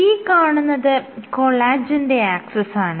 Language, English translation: Malayalam, So, this is my collagen axis, this is 3